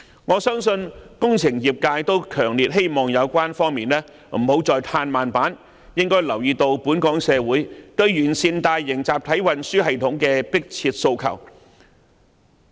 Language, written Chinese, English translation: Cantonese, 我相信工程業界均強烈希望有關方面不要再"唱慢板"，應該留意到本港社會對完善大型集體運輸系統的迫切訴求。, I believe the engineering sector strongly hopes that the relevant parties will pick up the pace and pay heed to the pressing demand for improving mass transport systems in the local community